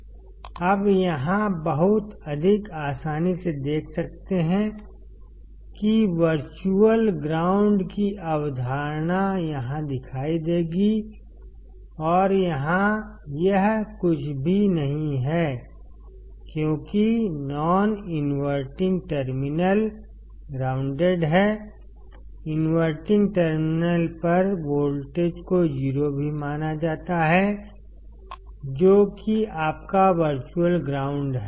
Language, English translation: Hindi, Now here you can see very easily that the concept of virtual ground will appear here and here this is nothing, but because the non inverting terminal is grounded; the voltage at the inverting terminal is also considered as 0 which is your virtual ground